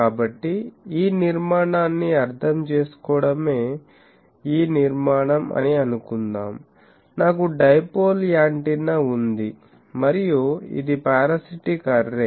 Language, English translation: Telugu, So, the structure is to understand this structurelet us look like this suppose, I have a dipole antenna and this is a parasitic one